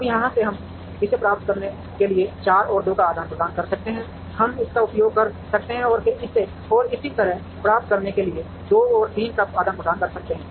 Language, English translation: Hindi, Now, from here we can exchange 4 and 2 to get this, we can use this and then exchange 2 and 3 to get this and so on